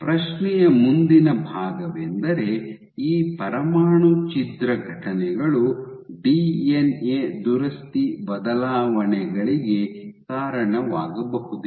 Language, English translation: Kannada, The next part of it is question is, can these nuclear rupture events lead to alterations in DNA repair